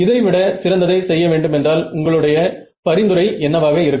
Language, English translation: Tamil, So, when I say can we do better, what would be your suggestion